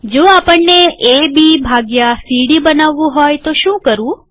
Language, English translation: Gujarati, What if we want to create A B by C D